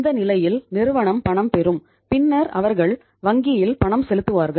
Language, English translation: Tamil, In that case either the company will receive the payment and then they will make the payment to the bank